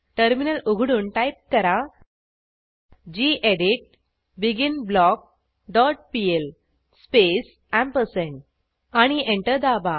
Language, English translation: Marathi, Open the Terminal and type gedit beginBlock dot pl space ampersand and press Enter